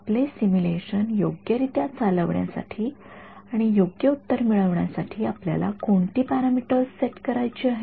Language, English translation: Marathi, What are the parameters that you have to set to run your simulation correctly and get the correct answer